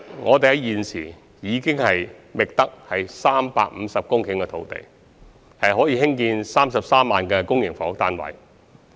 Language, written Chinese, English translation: Cantonese, 我們現時已覓得350公頃土地，可興建33萬個公營房屋單位。, We have already identified 350 hectares of land for the construction of some 330 000 public housing units